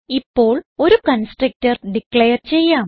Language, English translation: Malayalam, Now we will declare a constructor